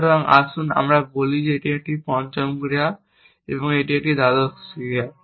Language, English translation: Bengali, So, let us say this is the fifth action, and this is the twelfth action